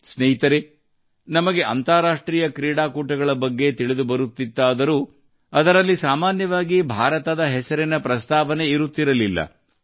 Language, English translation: Kannada, Friends, earlier there used to be a time when we used to come to know about international events, but, often there was no mention of India in them